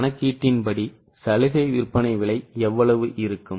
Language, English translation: Tamil, So, how much will be the concessional selling price